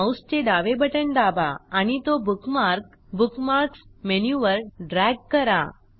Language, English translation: Marathi, * Press the left mouse button, and drag the bookmark to the Bookmarks menu